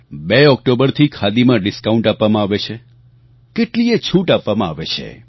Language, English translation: Gujarati, Discount is offered on Khadi from 2nd October and people get quite a good rebate